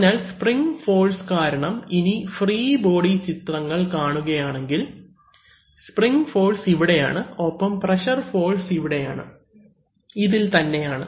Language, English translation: Malayalam, So, the force on the, so the, now because of the spring force, so if you see free body diagrams the spring force is here and the pressure forces are here, also on these